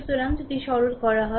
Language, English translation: Bengali, So, if you simplify